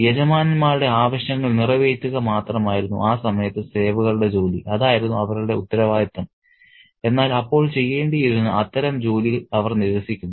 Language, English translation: Malayalam, The job of the servants in that particular period was just to meet the demands of the masters and that was their responsibility, but they reject that kind of job that they had to do then